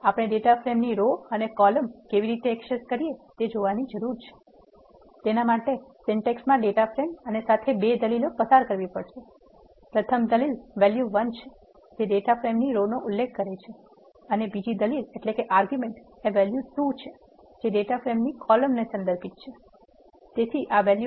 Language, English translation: Gujarati, Now that we have created a data frame, We need to see how we can access rows and columns of a data frame; the syntax for that is the data frame and 2 arguments has to be passed, the first argument val 1 refers to the rows of a data frame and the second argument val 2 refers to the columns of a data frame